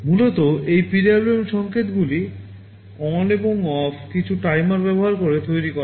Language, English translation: Bengali, Essentially this PWM signals, ON and OFF, are generated using some timers